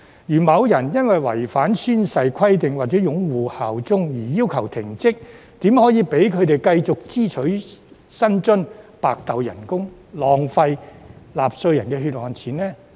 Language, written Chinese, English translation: Cantonese, 如果某人因為違反宣誓規定或擁護效忠而被要求停職，怎可以讓他們繼續支取薪津、白拿工資、浪費納稅人的血汗錢呢？, If the functions and duties of some people are required to be suspended because they have failed to fulfil the oath - taking requirements or uphold the Basic Law and bear allegiance to HKSAR how can they continue to receive remuneration be paid for nothing and waste the hard - earned money of taxpayers?